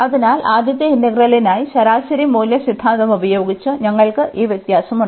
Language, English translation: Malayalam, So, using mean value theorem for the first integral, we have this difference